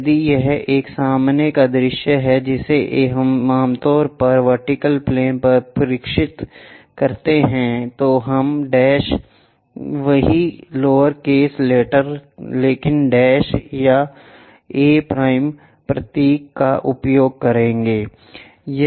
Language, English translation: Hindi, If it is a front view which we usually projected on to vertical plane, we use a symbol’ the dash same lower case letter a, but a dash or a’